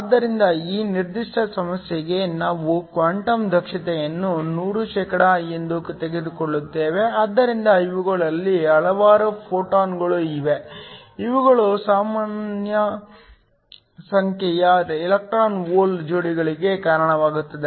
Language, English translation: Kannada, But for this particular problem we will take the quantum efficiency to be 100%, so of this is a number of photons that are incident these will give rise to an equal number of electron hole pairs